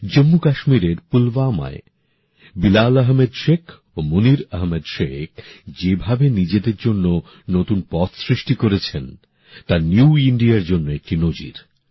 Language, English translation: Bengali, The way Bilal Ahmed Sheikh and Munir Ahmed Sheikh found new avenues for themselves in Pulwama, Jammu and Kashmir, they are an example of New India